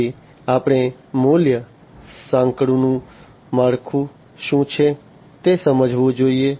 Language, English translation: Gujarati, Then we should understand the what is the structure of the value chain